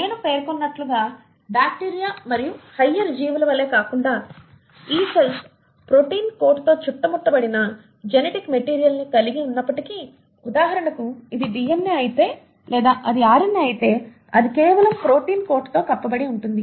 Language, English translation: Telugu, And as I mentioned unlike bacteria and higher organisms, though these particles retain a genetic material which is surrounded by a protein coat, for example if this is a DNA or it can be RNA, it is just encapsulated in a protein coat